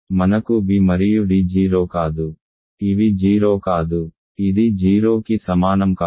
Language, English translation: Telugu, We have b and d are non 0 right these are non 0 this is not equal to 0 this is not equal to 0